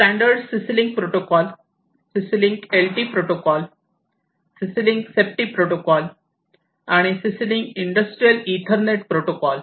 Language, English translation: Marathi, So, these are the different variants of the CC link protocol, the standard CC link protocol, then we have the CC link LT, CC link safety, and CC link Industrial Ethernet